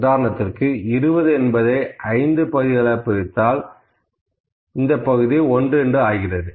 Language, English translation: Tamil, For instance, this is 20, I can divide it into 5 parts